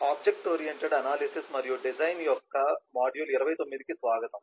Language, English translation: Telugu, welcome to module 29 of object oriented analysis and design